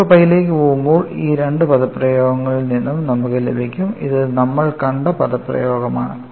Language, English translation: Malayalam, When alpha goes to pi, when alpha goes to pi, you get from both this expressions; this is the expression we have seen